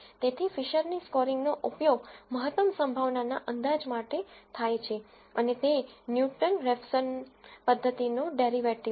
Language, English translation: Gujarati, So, the Fisher’s scoring is used for maximum likelihood estimation and it is a derivative of Newton Raphson method